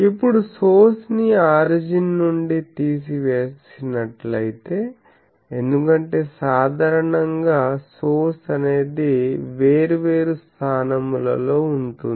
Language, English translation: Telugu, Now, if the source is removed from the origin because this is not the general thing